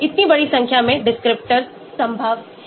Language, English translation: Hindi, so large number of descriptors are possible